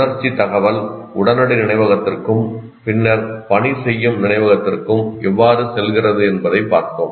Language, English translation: Tamil, And there we looked at how does the sensory information passes on to immediate memory and then working memory